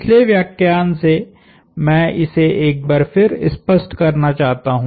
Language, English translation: Hindi, I want to make this clear once more, from the last lecture